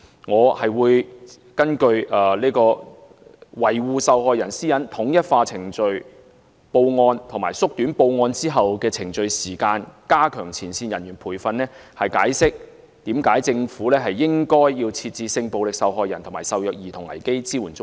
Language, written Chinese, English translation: Cantonese, 我會根據維護受害人私隱、統一化程序報案和縮短報案後的程序時間、加強前線人員培訓，解釋為何政府應該設置性暴力受害人及受虐兒童危機支援中心。, I will explain why a 24 - hour one - stop crisis support centre should be set up for sexual violence and child abuse victims from the perspectives of protecting the privacy of the victims standardizing the reporting procedures shortening the time for reporting the incident and enhancing the training of frontline workers